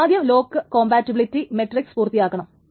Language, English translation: Malayalam, So I am going to draw the lock compatibility matrix in a moment